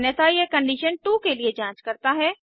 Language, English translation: Hindi, Else it again checks for condition 2